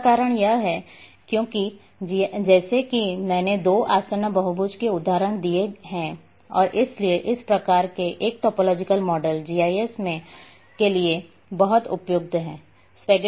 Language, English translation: Hindi, The reason is because as I gave the examples of two adjacent polygons and therefore this type of a topological models are very suitable for GIS